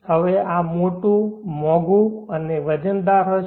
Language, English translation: Gujarati, Now this will be big bulky expensive and very heavy